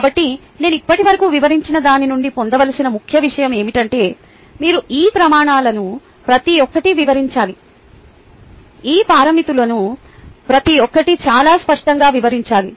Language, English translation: Telugu, what i have explained so far is that you need to describe each of these criteria, each of these parameters, very clearly